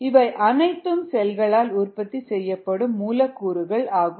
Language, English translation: Tamil, these are: these are the molecules that are produced by the cells and they are the products